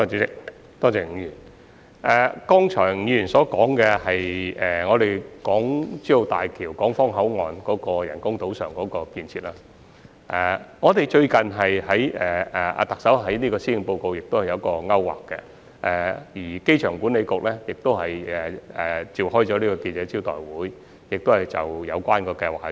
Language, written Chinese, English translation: Cantonese, 吳議員剛才所說的是大橋港方口岸的人工島上的設施，特首最近在施政報告中已有所提及，而機場管理局亦已召開記者招待會，公布有關的計劃。, Mr NG mentioned about the facilities on the Hong Kong Boundary Crossing Facilities BCF Island of HZMB . The Chief Executive has mentioned this in her policy address recently and the Airport Authority has also held a press conference to announce the relevant plans